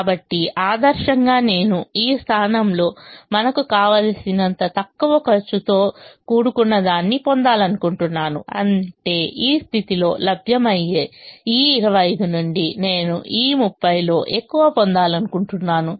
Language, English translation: Telugu, so ideally i would like to get or put as much as we can in this position, which is the least cost position, which means ideally i would like to get as much of this thirty as i can from this twenty five that is available in this position